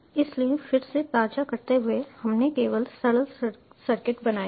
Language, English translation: Hindi, so, again, refreshing, we have just created the simple circuit